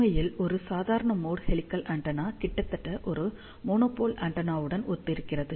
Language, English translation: Tamil, In fact, a normal mode helical antenna almost radiates very similar to a monopole antenna